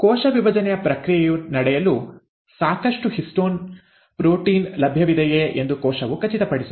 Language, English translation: Kannada, The cell will also ensure that there is a sufficient histone proteins which are available for the process of cell division to take place